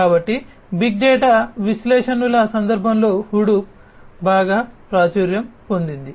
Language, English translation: Telugu, So, Hadoop is quite popular in the context of big data analytics